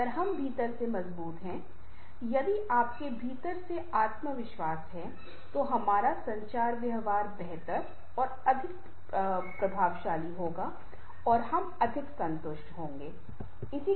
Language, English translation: Hindi, if we are very strong from within, if you have the confidence from within, then our communication behavior will be better, more effective and we shall be more satisfied